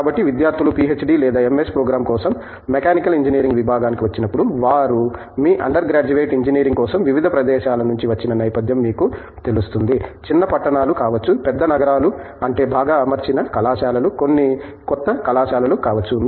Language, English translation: Telugu, So, when students come in to the Department of a Mechanical Engineering for PhD or an MS program, they do come there with you know, background from a variety of different places that they have been at for their undergraduate Engineering, which could be small towns, big cities I mean well equipped colleges, may be some are new colleges and so on